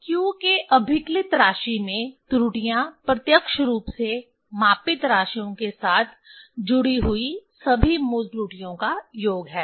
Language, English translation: Hindi, Errors in computed value of q is the sum of all original error associated with is associated, associated with the directly measured quantities